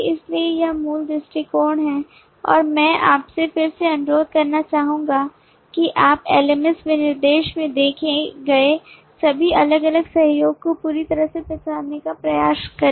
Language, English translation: Hindi, so this is the basic approach and i would again request you to pause and try to identify as exhaustively as you can all the different collaborations that you see in the lms specification